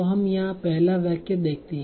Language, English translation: Hindi, Let us see the other sentence here